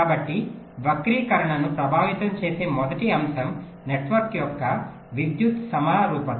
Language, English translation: Telugu, so the first factor that affects the skew is the electrical symmetry of the network